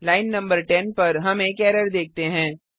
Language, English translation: Hindi, We see an error at line no 10